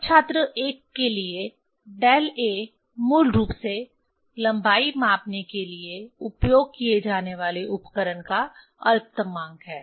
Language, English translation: Hindi, Now, for student 1 del a is basically least count of the instrument used to measure the length